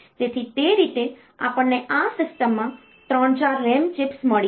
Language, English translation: Gujarati, So, that way we have got 3 – 4 RAM chips in this system